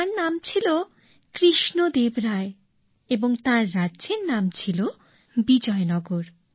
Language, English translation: Bengali, The name of the king was Krishna Deva Rai and the name of the kingdom was Vijayanagar